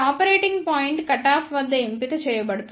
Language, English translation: Telugu, Here the operating point is chosen at the cutoff